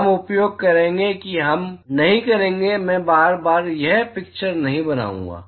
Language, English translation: Hindi, We will be using, we will not I will not be drawing this picture again and again